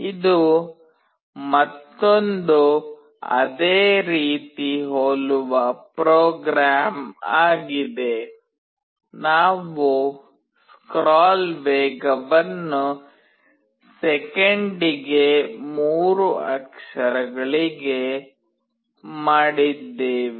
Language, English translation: Kannada, This is another program similar program, just that we have made the scroll speed to 3 characters per second